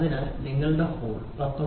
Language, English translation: Malayalam, So, your hole if it is very 19